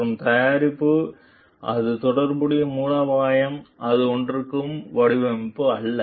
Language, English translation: Tamil, And the strategy relevant for it for the product it is not the design per se